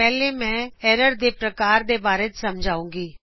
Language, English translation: Punjabi, First I will explain about Types of errors